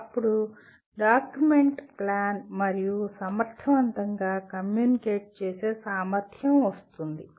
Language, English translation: Telugu, Then come the ability to document plan and communicate effectively